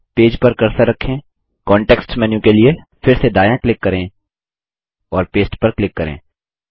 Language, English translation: Hindi, Then, place the cursor on the page, right click for the context menu again and click Paste